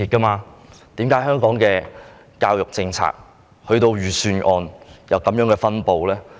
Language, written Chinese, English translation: Cantonese, 為何香港的教育政策及預算案作出這些安排？, How come such arrangements are made in respect of the education policy and the Budget?